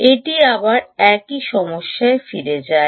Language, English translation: Bengali, right, it goes back to the same problem